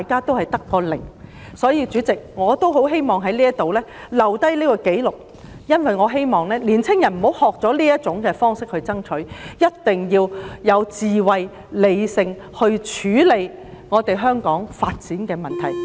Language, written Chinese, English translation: Cantonese, 因此，代理主席，我希望在此留下紀錄，寄語年青人不要學習以這種方式作出爭取，一定要有智慧和理性地處理香港的發展問題。, Therefore Deputy Chairman I wish to put on record my advice to young people and tell them that they must not follow the bad example of resorting to such means to fight for their causes . They must act wisely and handle issues concerning the development of Hong Kong in a rational manner